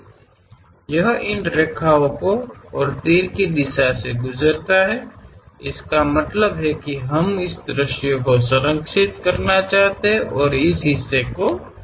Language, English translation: Hindi, This pass through these lines and arrow direction is in that way; that means we want to preserve that view and remove this part